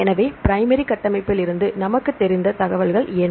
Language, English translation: Tamil, So, what is the information we know from the primary structure